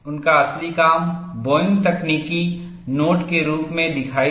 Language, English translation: Hindi, That is the advantage of…His original work appeared as a Boeing technical note